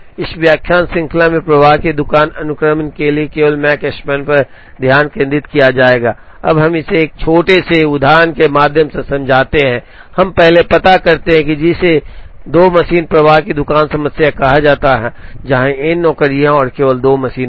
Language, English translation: Hindi, In this lecture series will concentrate only on the Makespan for flow shop sequencing, now we explain it through a small example, we first address, what is called the 2 machine flow shop problem, where there are n jobs and there are only 2 machines